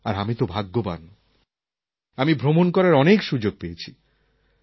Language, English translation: Bengali, I have been fortunate that I had a lot of opportunities to travel